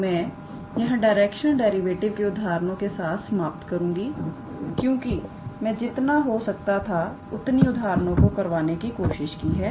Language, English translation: Hindi, So, I will stop with the examples on directional derivative, because I have tried to cover as many examples as possible